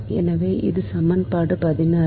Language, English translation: Tamil, so this is equation sixteen